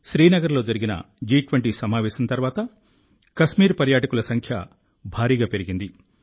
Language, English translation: Telugu, After the G20 meeting in Srinagar, a huge increase in the number of tourists to Kashmir is being seen